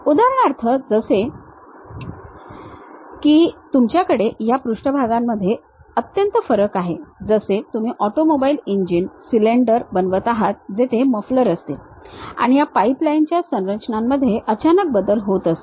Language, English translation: Marathi, For example, like you have drastic variation on these surfaces, like you are making a automobile engine cylinder where mufflers will be there, sudden change in this pipeline structures will be there